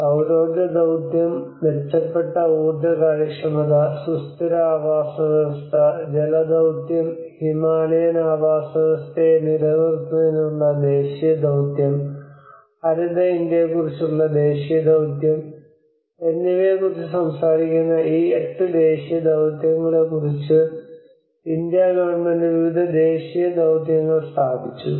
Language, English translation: Malayalam, They are talking about Government of India have established the different national missions like for instance these eight national missions which talks about the solar mission, enhanced energy efficiency, sustainable habitat, water mission, national mission on sustaining Himalayan ecosystems, national mission on green India, sustainable agriculture and strategic knowledge for climate change